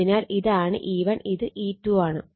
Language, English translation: Malayalam, So, this is E 1 E 2